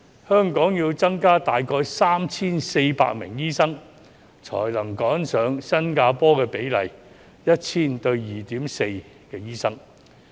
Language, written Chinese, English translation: Cantonese, 香港需要增加大概 3,400 名醫生，才能趕上新加坡的比例，即每 1,000 人有 2.4 名醫生。, Hong Kong needs about 3 400 additional doctors to catch up with the ratio in Singapore which is 2.4 doctors for every 1 000 people